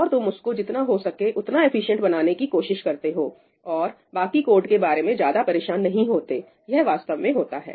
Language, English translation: Hindi, And you try to make that as efficient as possible and do not bother about the rest of the code, that is typically what do